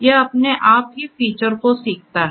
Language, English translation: Hindi, It learns the features on its own